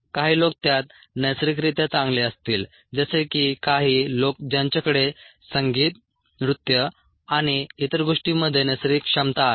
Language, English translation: Marathi, some people would be naturally good at it, as have some people who a who have a natural ability in a music, in dance and so on, so forth